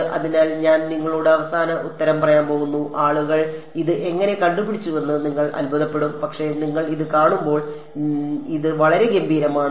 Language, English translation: Malayalam, So, I am going to tell you the final answer and you will wonder how did people come up with it, but you will see when you see it, it is very elegant